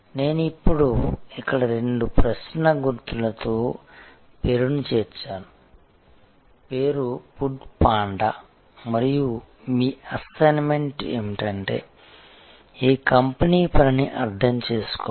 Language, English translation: Telugu, I have now included here a name with two question marks, the name is food panda and your assignment is to understand the working of this company